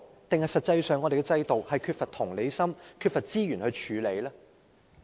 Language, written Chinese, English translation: Cantonese, 還是實際上，我們的制度在處理問題時缺乏同理心和資源呢？, Or does our system in fact lack empathy and resources in handling such problems?